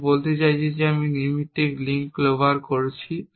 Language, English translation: Bengali, I mean I am clobbering the casual link